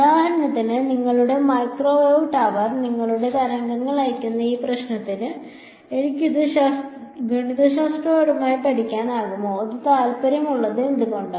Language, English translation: Malayalam, For example to this problem which is which has your microwave, tower and sending your waves to you can I study it mathematically and why would that be of interest